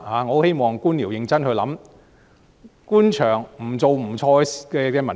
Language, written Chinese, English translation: Cantonese, 我很希望官僚認真思考官場不做不錯的文化。, I very much hope that these bureaucrats will seriously reflect on the culture of doing less means erring less